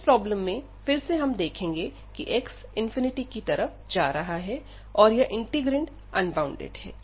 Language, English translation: Hindi, So, now we have this problem again, when x is approaching to infinity, this integrand is approaching to is getting unbounded